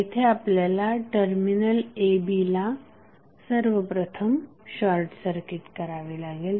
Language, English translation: Marathi, We have to first short circuit the terminal a, b